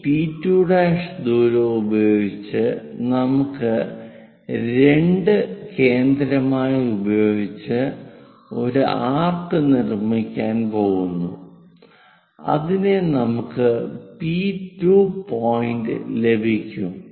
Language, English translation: Malayalam, Using this P2 prime that distance we are going to make an arc based on center 2 such that we will get P 2 point